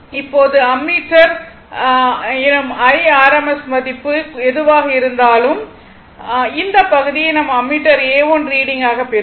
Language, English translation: Tamil, So, similarly the rms value reading of ammeter this this is the reading of ammeter A 1